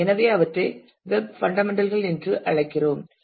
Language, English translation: Tamil, So, we call them as web fundamentals